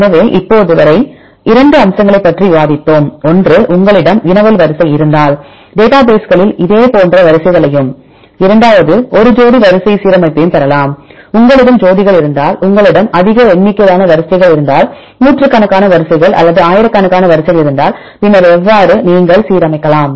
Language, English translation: Tamil, So, till now we discussed about 2 aspects; one is if you have query sequence you can get the similar sequences in the databases and the second one pairwise alignment, if you have pairs, you can align if you have more number of sequences hundreds of sequences or thousands of sequences then how to make the alignment